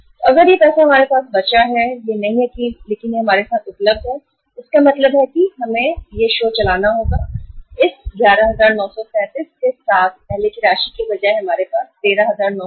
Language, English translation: Hindi, So if this money is left with us, not this but this is available with us it means now we have to run the show with this 11,937 rather than the earlier amount we had 13,937